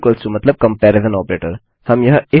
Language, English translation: Hindi, Two = to means comparison operator